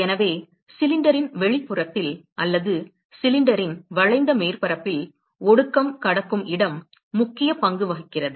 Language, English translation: Tamil, So, that is a place where the condensation crosses at the exterior of the cylinder or the curved surface of the cylinder plays and important role